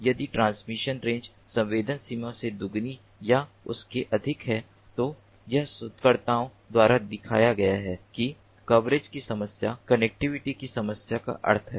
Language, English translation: Hindi, if the transmission range is greater than or equal to twice the sensing range, it has been shown by researchers that the problem of coverage implies the problem of connectivity